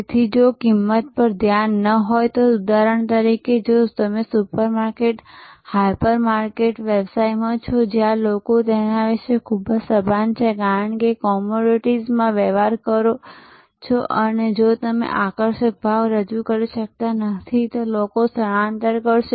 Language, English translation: Gujarati, So, if you do not have minute attention to cost then for example, if you are in the supermarket, hyper market business, where people or very conscious about, because you are dealing in commodities and people will shift if you are not able to offer attractive pricing